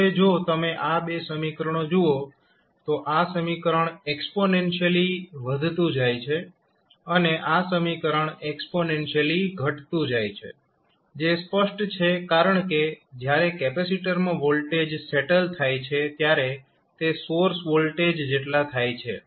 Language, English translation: Gujarati, Now, if you see these 2 equations this equation is increasing exponentially and when you see this equation this is decreasing exponentially which is obvious because when the voltage settles across the capacitor equals to the source voltage